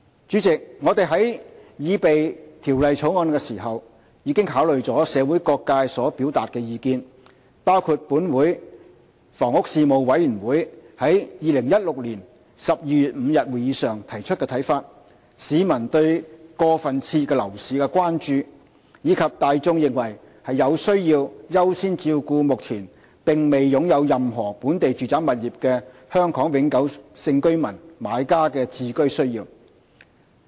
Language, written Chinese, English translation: Cantonese, 主席，我們在擬備《條例草案》時，已考慮社會各界所表達的意見，包括立法會房屋事務委員會於2016年12月5日會議上提出的看法、市民對過分熾熱的樓市的關注，以及大眾的意見，他們認為有需要優先照顧目前並未擁有任何本地住宅物業的香港永久性居民買家的置居需要。, Reminders to demand AVD underpaid will be issued after the gazettal of the Amendment Ordinance . President in drafting the Bill we have taken into account various views expressed in the community including those received from the Legislative Council Panel on Housing at the meeting on 5 November 2016 public concerns about an overheated property market and public views . They consider it necessary to accord priority to home ownership needs of those Hong Kong permanent resident buyers who currently do not own any local residential property